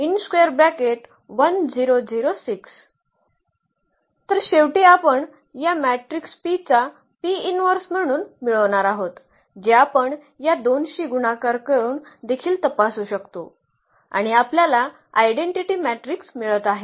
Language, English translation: Marathi, So, finally, we will get this as the as the P inverse of this matrix P which we can also verify by multiplying these two and we are getting the identity matrix